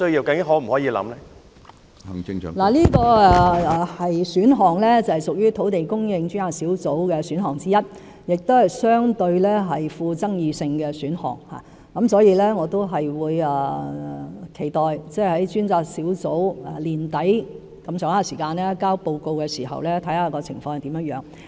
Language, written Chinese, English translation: Cantonese, 這個選項是土地供應專責小組提出的選項之一，亦相對具爭議性，所以，我期待專責小組約在年底提交報告時再審視有關的情況。, This option is one of the options proposed by the Task Force on Land Supply Task Force which is relatively controversial . Therefore I expect to examine the relevant situations after the Task Force has submitted the report around the end of this year